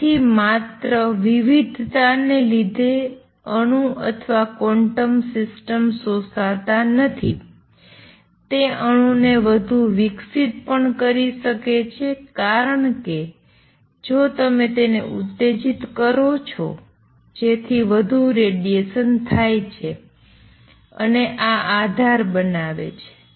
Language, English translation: Gujarati, So, not only variation let us absorbed by an atom or a quantum system it can also make an atom radiate more, because if you stimulates it to radiate more radiation would come out and this forms the basis